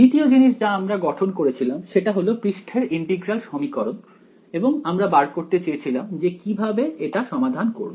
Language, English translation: Bengali, The second thing that we formulated was the surface integral equation and we want to find out now how do we solve this ok